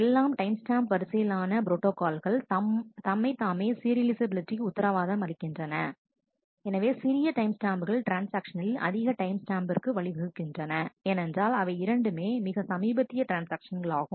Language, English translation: Tamil, At all the timestamp ordering protocol itself guarantees the serializability, so the transaction with the smaller timestamp will lead to transaction with larger timestamp, because those are the more recent transaction